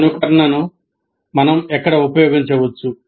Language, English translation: Telugu, Where can we use simulation